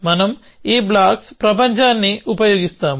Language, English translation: Telugu, So, we will use this blocks world